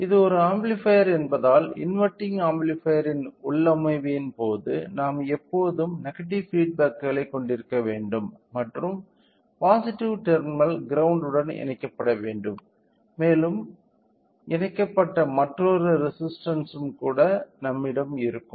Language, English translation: Tamil, So, in case of inverting amplifier configuration since it is an amplifier we should always have to have a negative feedback and the positive terminal should be connected with the ground and we will also have another resistor which is connected